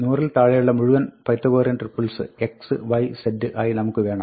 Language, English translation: Malayalam, We want all Pythagorean triples with x, y, z below 100